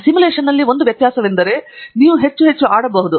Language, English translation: Kannada, The only difference in simulation is you can play around a lot more